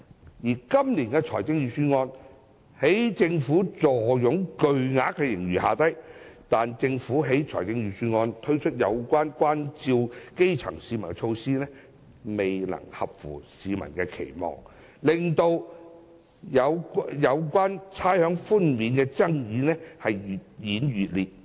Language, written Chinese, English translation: Cantonese, 政府今年雖然坐擁巨額盈餘，但在預算案中推出的照顧基層市民措施，未能符合市民的期望，令有關差餉寬免的爭議越演越烈。, Although the Government has a huge surplus this year the measures introduced in the Budget to take care of the grass roots have failed to meet the expectations of the public and the controversies over rates concessions has intensified